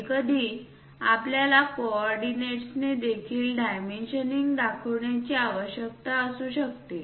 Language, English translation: Marathi, Sometimes, we might require to use dimensioning by coordinates also